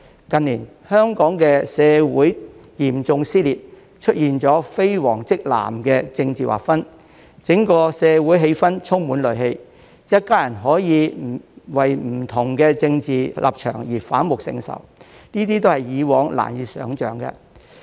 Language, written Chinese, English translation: Cantonese, 近年，香港社會嚴重撕裂，出現了"非黃即藍"的政治劃分，整個社會的氣氛充滿戾氣，一家人可以為不同的政治立場而反目成仇，這是以往難以想象的。, In recent years Hong Kong society has been seriously torn apart with the emergence of strictly either yellow or blue political divisions and a hostile atmosphere across the community where members of a family can turn against each other for different political positions which was unimaginable in the past